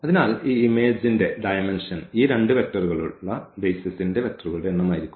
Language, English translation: Malayalam, So, the dimension of this image is going to be true and the basis these two vectors